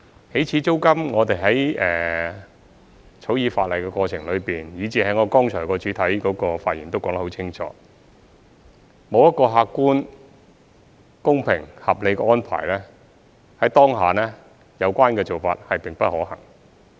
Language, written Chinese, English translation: Cantonese, 起始租金，我們在草擬法例的過程中，以至我剛才的主體發言亦說得很清楚，沒有一個客觀、公平、合理的安排，在當下有關做法並不可行。, About the initial rent in the course of drafting the legislation and as I made clear in my main speech it is infeasible to set an initial rent without an objective fair and reasonable arrangement